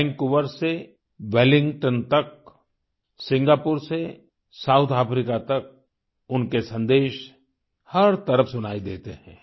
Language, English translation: Hindi, From Vancouver to Wellington, from Singapore to South Africa his messages are heard all around